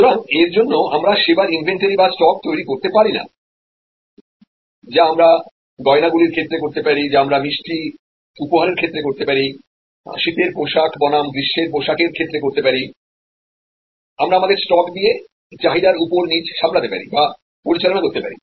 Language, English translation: Bengali, So, as a result we cannot create inventory, which we can do in case of jewelry, which we can do in case of sweets, incase of gifts, in case of winter clothes versus summer clothes, we can manage our inventory, our stock to manage the variation in the flow